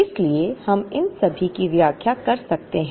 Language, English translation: Hindi, So, we could explain all of these